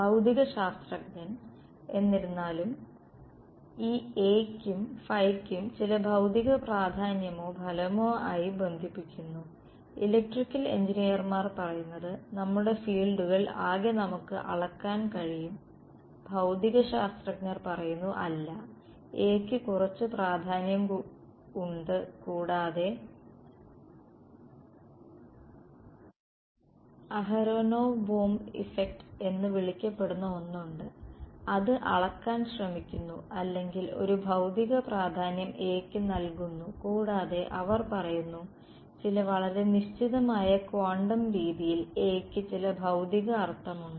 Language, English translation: Malayalam, Physicists; however, attribute some physical importance or significance to this A and phi, electrical engineers say all we can measure of our fields physicists say that no there is some significance to A and there is something call the aronov Bohm effect which tries to measure or give a physical significance to A and they say that in some highly specific quantum regime there is some physical meaning for A